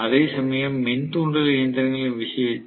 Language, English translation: Tamil, Whereas in the case of induction machine